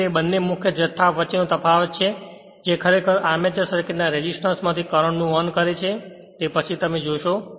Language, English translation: Gujarati, So, it is the difference between these two head quantities which actually drives current through the resistance of the armature circuit we will see later